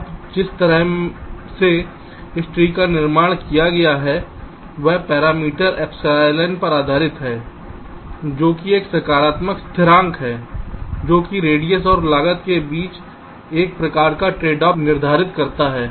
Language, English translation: Hindi, now the way this tree is constructed is based on parameter epsilon, which is a positive constant which determines some kind of a tradeoff between radius and cost